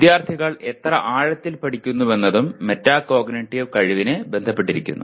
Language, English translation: Malayalam, How much and how deeply the students learn also is affected by the metacognitive ability